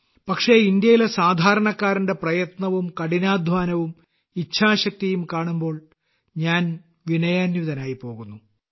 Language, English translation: Malayalam, But when I see the efforts of the common man of India, the sheer hard work, the will power, I myself am moved